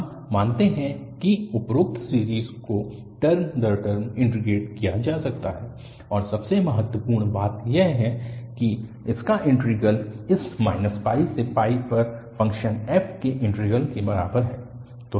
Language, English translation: Hindi, We assume that the above series can be integrated term by term and most importantly its integral is equal to the integral of the function f over this minus pi to pi